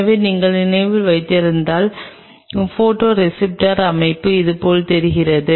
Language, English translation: Tamil, So, if you remember the structure of the photoreceptors looks like this